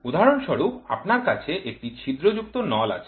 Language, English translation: Bengali, For example, you can have pipe which is leaking